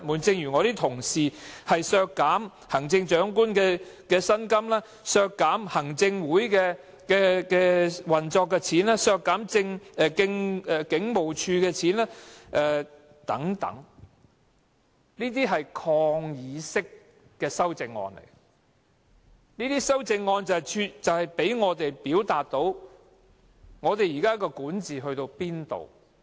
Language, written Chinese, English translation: Cantonese, 正如我的同事建議削減行政長官的薪金、行政會議運作的開支或警務處的開支等，都是抗議式的修正案，讓我們表達現時的管治水平如何。, Similarly the proposals put forward by my colleagues on reducing the emoluments of the Chief Executive the operating expenses of the Executive Council or the expenditure for the Police Force are all defiant amendments meant to allow us to comment on the current level of governance